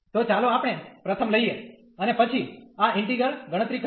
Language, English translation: Gujarati, So, let us take the first one and then compute this integral